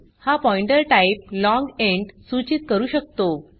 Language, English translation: Marathi, This pointer can point to type long int